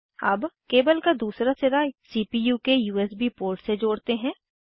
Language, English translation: Hindi, Now lets connect the other end of the cable, to the CPUs USB port